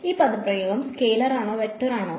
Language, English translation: Malayalam, Is this expression over here a scalar or a vector